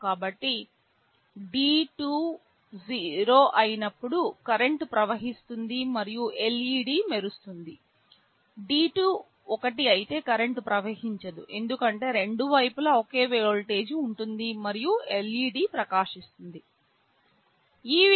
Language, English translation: Telugu, So, whenever D2 is 0, there will be a current flowing and the LED will glow, if D2 is 1, there will be no current flowing because both sides will be at same voltage, and LED will not glow